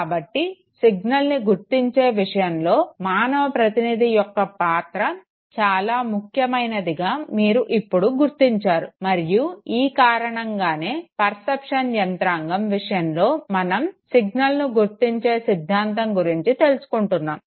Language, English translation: Telugu, So you realize that the role of the human respondent is extremely important in terms of detecting the signal okay, and that is the reason why signal detection theory know is taken into account when we look at that perception mechanism